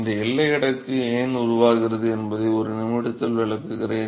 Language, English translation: Tamil, I will explain in a minute why this boundary layer is formed